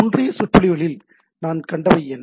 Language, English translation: Tamil, So, what we have seen in previous lectures